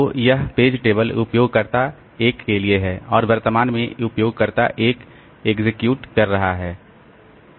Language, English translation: Hindi, So, this is the page table for user 1 and currently user 1 is executing here